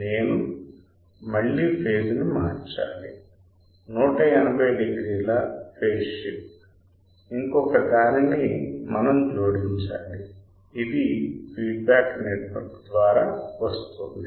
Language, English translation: Telugu, I have to again change phase so, that 180 degree phase shift one more we have to add which will come through the feedback network